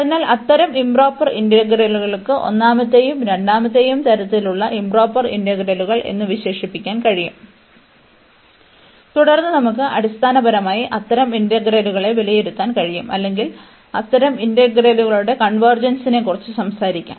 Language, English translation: Malayalam, So, such improper integrals of we can express in terms improper integrals of the first and the second kind, and then we can basically evaluate such integrals or we can talk about the convergence of such integrals